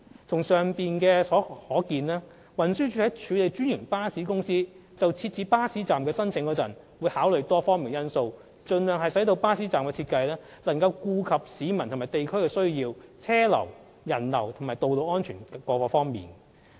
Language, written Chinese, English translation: Cantonese, 從上述可見，運輸署在處理專營巴士公司設置巴士站的申請時，會考慮多方面因素，盡量使巴士站的設計能夠顧及市民和地區的需要、車流人流及道路安全等。, As shown from the above when TD processes applications for erecting bus stops from franchised bus companies it will consider various factors so as to enable that the bus stop designs can cater to the needs of the public and the local community pedestrian and vehicular flows road safety etc as far as possible